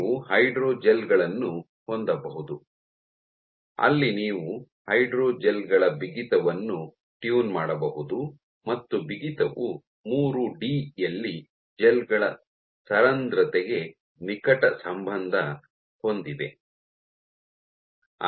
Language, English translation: Kannada, So, you can have hydrogels, where you can tune the stiffness of the hydrogels and stiffness is closely tied to porosity of the gels in 3D